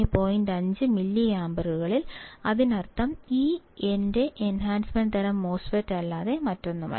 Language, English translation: Malayalam, 5 milliampere; that means, this is nothing but my enhancement type MOSFET